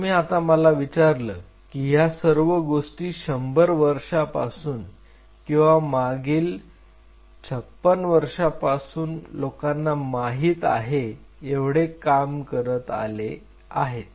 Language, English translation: Marathi, Now, if you ask me that how all these things are known it is 100 years or last 56 years people are being working